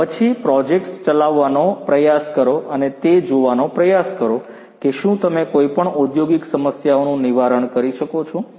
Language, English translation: Gujarati, And then try to execute projects and try to see whether you can address any of the industrial problems